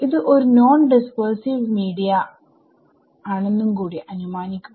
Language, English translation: Malayalam, Let us make one further assumption that it is a non dispersive media